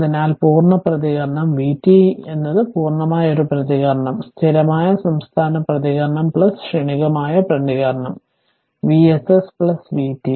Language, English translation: Malayalam, So, therefore, complete response the v t is the complete response is equal to steady state response plus transient response v s s plus v t right